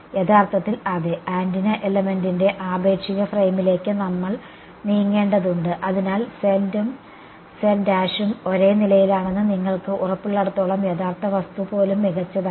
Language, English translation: Malayalam, Actually yeah, we have to move to the relative frame of the antenna element, so, even the original thing is fine as long as you are sure that z and z prime are in the same